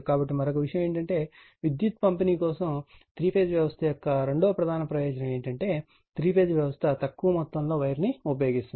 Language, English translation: Telugu, So, another thing is that that is second major advantage of three phase system for power distribution is that the three phase system uses a lesser amount of wire right